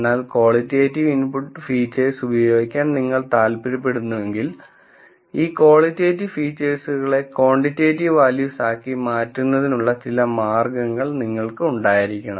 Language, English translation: Malayalam, However, if we have going to use a quantitative technique, but we want to use input features which are qualitative, then we should have some way of converting this qualitative features into quantitative values